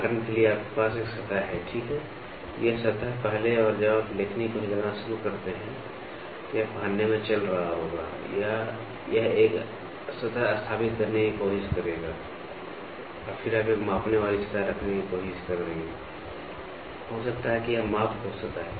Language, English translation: Hindi, For example; you have a surface, right, this surface first as and when you start moving the stylus, it will have a running in wear or it will try to establish a surface and then you will try to have a measuring surface, may be this is the measuring surface